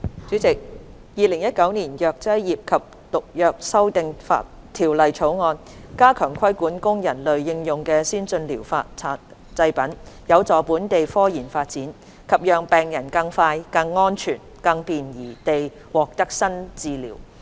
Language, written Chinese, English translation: Cantonese, 主席，《2019年藥劑業及毒藥條例草案》加強規管供人類應用的先進療法製品，有助本地科研發展及讓病人更快、更安全、更便宜地獲得新治療。, President the Pharmacy and Poisons Amendment Bill 2019 the Bill seeks to strengthen regulation on advanced therapy products for human application which will facilitate the development of scientific research in Hong Kong and enable patients to obtain new treatments in a faster safer and cheaper manner